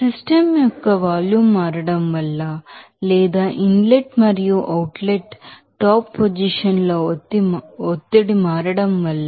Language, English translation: Telugu, Because of that change of volume of the system or because of the change of pressure in the inlet and outlet top position